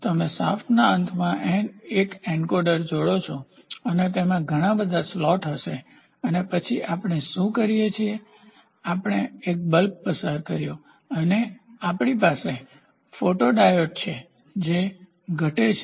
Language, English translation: Gujarati, You attach an encoder at the end of the shaft and it will have lot of slots and then what we do is we passed a bulb and then we have a photodiode which deducts